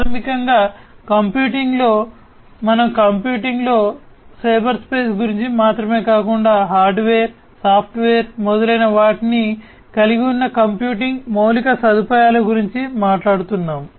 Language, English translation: Telugu, So, basically in computing what is there is we are talking about not only the cyberspace in computing, we talk about the computing infrastructure which includes hardware, software etc